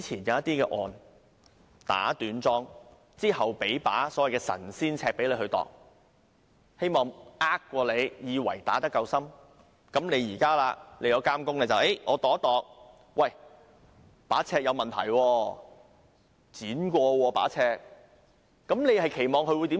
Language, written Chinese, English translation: Cantonese, 現在監工去量度，發現把尺有問題，被剪短過。你期望他會如何做？, If an inspector now takes the measure and finds that the scale has been cut short what will the inspector do?